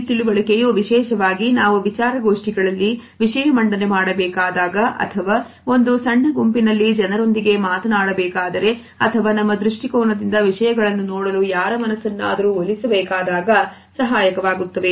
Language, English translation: Kannada, And this understanding is very helpful particularly when we have to make presentations or when we have to talk to people in a small group or we want to persuade somebody to look at things from our perspective